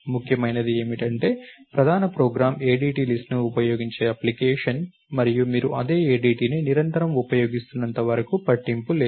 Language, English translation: Telugu, What is important is the main program is an application that uses an ADT list, and as long as you are consistently using the same ADT, it does not matter